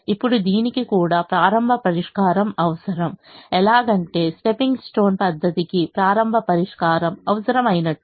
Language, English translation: Telugu, now, this also requires a starting solution, just as stepping stone required the starting solution